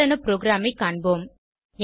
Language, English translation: Tamil, We will look at sample program